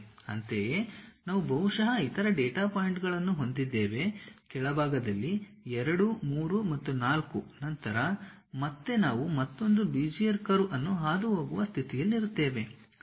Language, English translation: Kannada, Similarly, we will be having other data points like one perhaps, two at bottom three and four then again we will be in a position to pass another Bezier curve